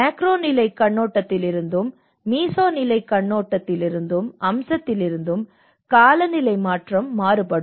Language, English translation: Tamil, Also the climate change both from a macro level point of view and the meso level aspect of it